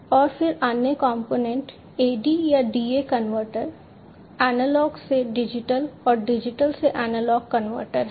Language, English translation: Hindi, And then the other component is the AD or DA converter, Analog to Digital and Digital to Analog converter